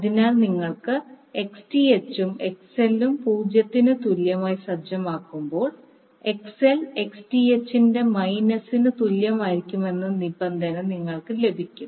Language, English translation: Malayalam, So, when you set Xth plus XL equal to 0, you get the condition that XL should be equal to minus of Xth